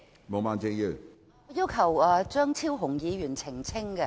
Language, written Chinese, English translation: Cantonese, 我要求張超雄議員作出澄清。, I request an elucidation by Dr Fernando CHEUNG